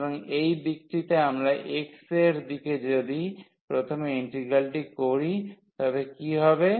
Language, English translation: Bengali, So, in this direction if we take the integral first in the direction of x what will happen